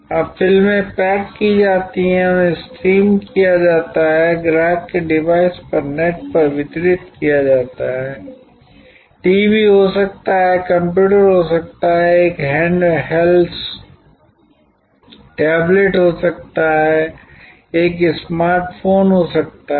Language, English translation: Hindi, Now, movies are packaged, they are streamed, delivered over the net on to the device of the customer, could be TV, could be computer, could be a handheld tablet, could be phone a smart phone